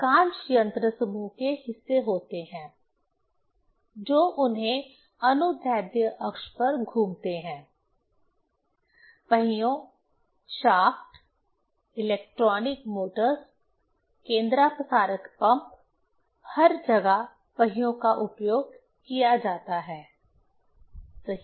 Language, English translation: Hindi, Most machinery has parts, which revolve on their longitudinal axis; wheels, shafts, electronic motors, centrifugal pumps, everywhere the wheels are used, right